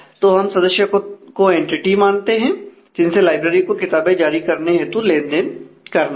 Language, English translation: Hindi, So, it looks like members are in entity which the library has to interact with in terms of issue